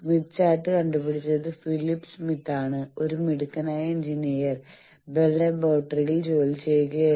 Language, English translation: Malayalam, Smith chart was invented by Phillip Smith; a brilliant engineer was working in Bell laboratory